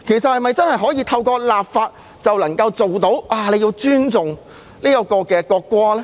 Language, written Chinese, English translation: Cantonese, 是否透過立法便能夠達到尊重國歌的效果呢？, Can we achieve the objective of making people respect the national anthem by way of legislation?